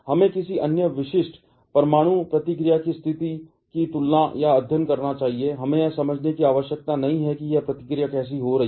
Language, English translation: Hindi, Let us compare or study the situation of another typical nuclear reaction; we do not need to understand, how this reaction is happening